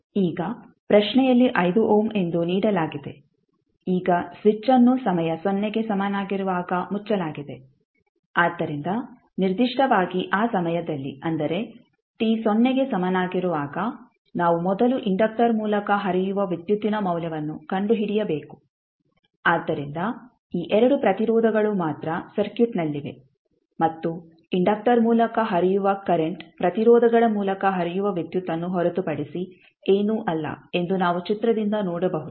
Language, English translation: Kannada, Now given in the question as a 5 ohm, now switch is closed at time is equal to 0, so particularly at that time that is at time t is equal to 0 we need to first find out the value of current flowing through the inductor so what we will get since we can see from the figure that only these 2 resistances are in the circuit and current flowing through the inductor is nothing but current flowing through the resistances